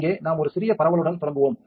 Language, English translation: Tamil, So, here we will start with a small spreading